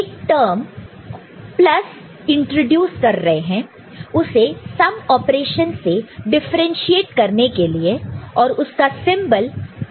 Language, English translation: Hindi, Now, we are are introducing a term plus to differentiate it from the sum operation that we do with this symbol +, ok